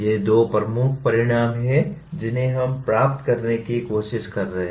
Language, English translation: Hindi, These are the two major outcomes that we are trying to attain